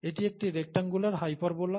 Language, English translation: Bengali, It’s a rectangular hyperbola, okay